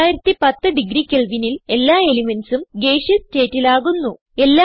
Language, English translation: Malayalam, At 6010 degree Kelvin all the elements change to gaseous state